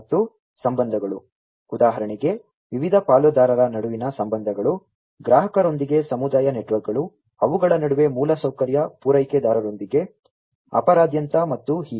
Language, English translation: Kannada, And the relationships; relationships, for example relationships between the different stakeholders, the community networks with the customer, with the infrastructure providers between them, across them and so on